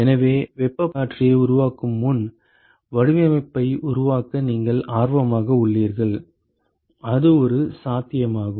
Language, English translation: Tamil, So, you are interested to work out the design before you fabricate the heat exchanger that is one possibility